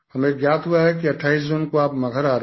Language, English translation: Hindi, It is correct that I am reaching Maghar on the 28th